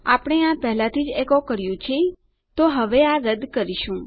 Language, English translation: Gujarati, Weve echoed this out already, so now we can delete this